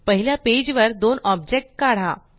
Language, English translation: Marathi, Draw two objects on page one